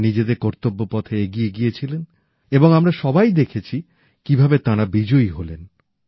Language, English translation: Bengali, They marched forward on their path of duty and we all witnessed how they came out victorious